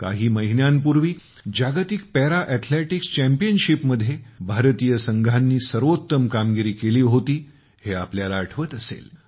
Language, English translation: Marathi, You might remember… a few months ago, we displayed our best performance in the World Para Athletics Championship